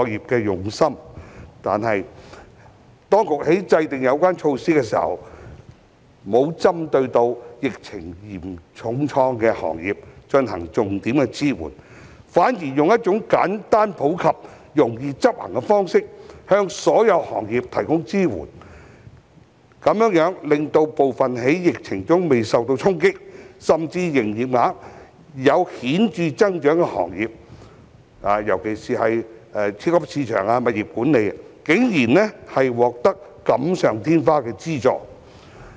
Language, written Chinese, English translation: Cantonese, 但是，當局在制訂有關措施時，未有重點支援受疫情重創的行業，反而以一種簡單普及、易於執行的方式，向所有行業提供支援，這樣令部分在疫情中未受衝擊，甚至營業額有顯著增長的行業，尤其是超級市場、物業管理，竟然獲得錦上添花的資助。, However when formulating the measures the authorities have failed to focus on supporting the most hard - hit industries . Instead they have adopted a simple across - the - board and easy - to - operate approach to providing support to all industries . Consequently some sectors especially supermarkets and property management companies which have remained unaffected or may have even seen a marked turnover growth during the epidemic unexpectedly received unnecessary subsidies